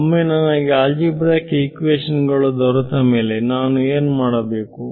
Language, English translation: Kannada, Once I got the system of algebraic equations what did I do